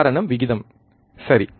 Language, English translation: Tamil, Because of the ratio, alright